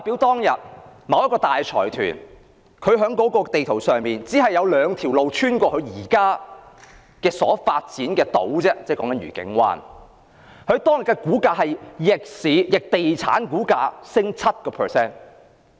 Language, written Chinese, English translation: Cantonese, 當年某計劃公布時，在圖則上有兩條路貫通某大財團所發展的愉景灣，而當天該財團的股價便逆地產股價上升 7%。, When a certain project was announced back then the relevant building plans showed that there were two roads connecting to the Discovery Bay to be developed by a certain large consortium and its share price rose by 7 % amidst a fall in the prices of property shares on that day